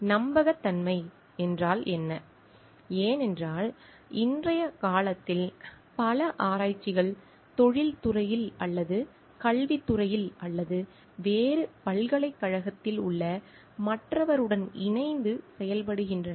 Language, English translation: Tamil, What it means to be trustworthiness because in nowadays many research are in collaboration with the other like counter parts, either in industry or in academics or in a like different university